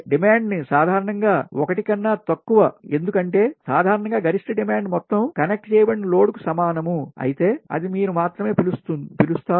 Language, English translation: Telugu, the demand factor is usually less than one, because generally if maximum demand is equal to total connected load, then it will be your, what you call only one